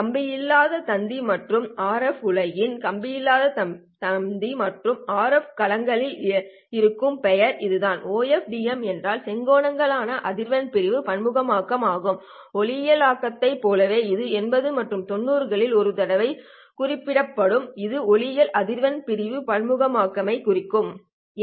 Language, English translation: Tamil, So in the wireless and RF world, OFFDM means orthogonal frequency division multiplexing, whereas in the optical domain, it meant once upon a time in the 80s and 90ss it meant optical frequency division multiplexing